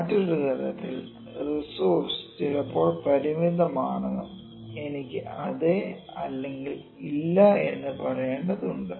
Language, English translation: Malayalam, In other way I can say that the resource is the limited sometimes and we just need to say whether yes or no